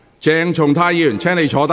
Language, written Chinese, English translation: Cantonese, 鄭松泰議員，請坐下。, Dr CHENG Chung - tai please sit down